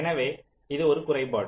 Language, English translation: Tamil, so this is a drawback